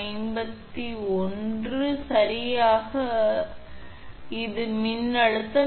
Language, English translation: Tamil, 51 kV right this is the voltage